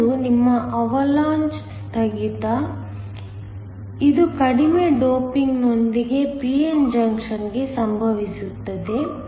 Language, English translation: Kannada, One is your Avalanche breakdown, so this occurs for p n junction with low doping